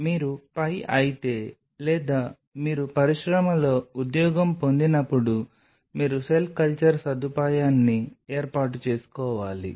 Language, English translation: Telugu, So, you become a pi or you get a job in the industry and you have to set up a cell culture facility